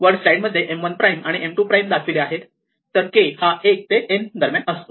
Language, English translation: Marathi, So, this is my M 1 prime and this is my M 2 prime, and this k is somewhere between 1 and n